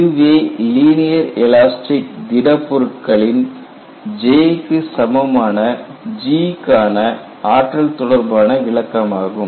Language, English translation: Tamil, So, this is the energy interpretation of G, which is same as J for a linear elastic solid